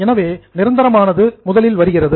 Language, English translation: Tamil, So, what is permanent comes first